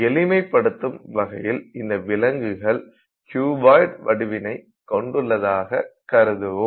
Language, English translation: Tamil, So, let's assume that let's simplify the animal to some kind of a cuboid structure